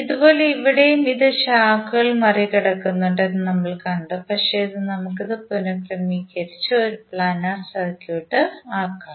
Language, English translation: Malayalam, Similarly here also we saw that it is crossing the branches but we can reorganize and make it as a planar circuit